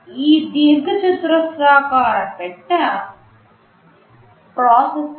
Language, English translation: Telugu, This rectangular box is a processor